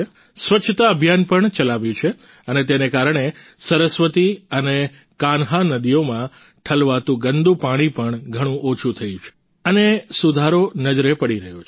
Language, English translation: Gujarati, A Cleanliness campaign has also been started and due to this the polluted water draining in the Saraswati and Kanh rivers has also reduced considerably and an improvement is visible